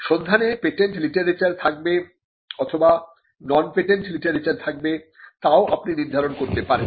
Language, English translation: Bengali, So, or you could also you could also stipulate whether the search should contain patent literature and on patent literature